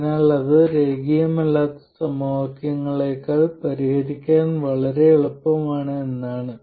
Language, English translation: Malayalam, So, that means that it is much easier to solve than the nonlinear equation